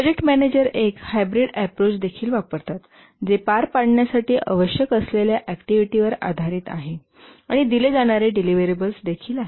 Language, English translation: Marathi, Project managers also use a hybrid approach which has both based on the activities that need to be carried out and also the deliverables that are to be given